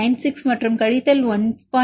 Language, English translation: Tamil, 96 and minus 1